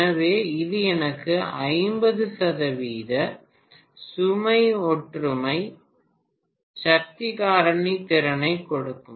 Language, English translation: Tamil, So this will give me efficiency at 50 percent load unity power factor